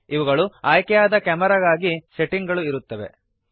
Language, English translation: Kannada, These are the settings for the selected camera